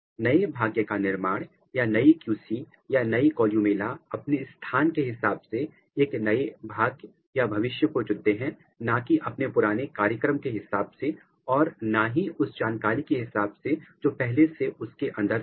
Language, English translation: Hindi, The fate the new fate determination or new QC or new columella they are taking a new fate depending on their position, not what was their initial programming or what was their information inside it